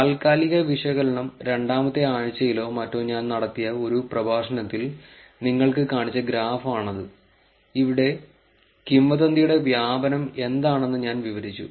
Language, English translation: Malayalam, Temporal analysis, this is the graph that I have shown you in one of the very earlier lectures I think about week 2 or something, where I kind of described what the spread of the rumour is